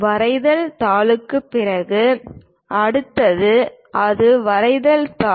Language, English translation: Tamil, After the drawing sheet, the next one is to hold that is drawing sheet